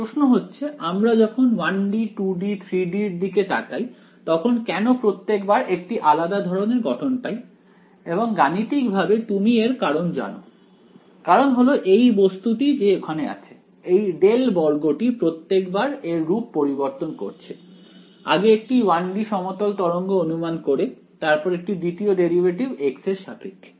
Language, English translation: Bengali, So, the question is that when we look at 1 D, 2 D, 3 D why is there a different form appearing each time and mathematically you know the reason the reason is each time this guy over here, the del squared guy is what is changing its form, earlier supposing I had a 1 D plane wave, then it was just second derivative with respect to x